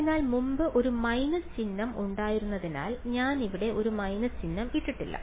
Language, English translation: Malayalam, So, I have not put a minus sign over here previously we had a minus sign